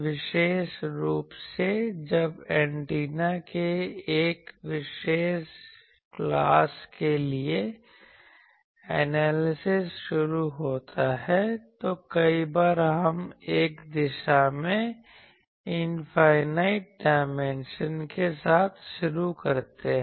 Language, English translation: Hindi, Particularly, if you actually when the analysis for a particular class of antenna starts many times we start with infinite dimension in one direction